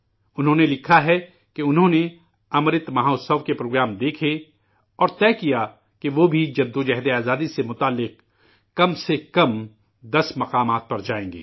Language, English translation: Urdu, He has written that he watched programmes on Amrit Mahotsav and decided that he would visit at least ten places connected with the Freedom Struggle